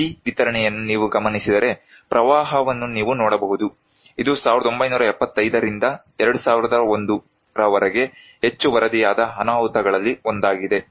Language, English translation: Kannada, If you look into this distribution, you can see that the flood; this is one of the most reported disasters from 1975 to 2001